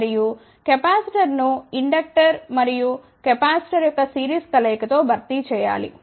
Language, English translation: Telugu, And, the capacitor has to be replaced by series combination of inductor and capacitor